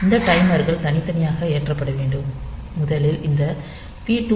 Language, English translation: Tamil, These timers are to be loaded separately, first of all you cannot leave this P2